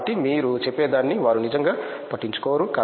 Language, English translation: Telugu, So, they really don’t care what you say at all